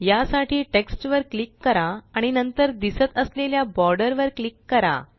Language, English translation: Marathi, To do this, click on the text and then click on the border which appears